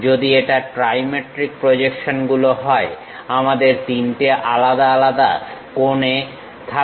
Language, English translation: Bengali, If it is trimetric projections, we have three different angles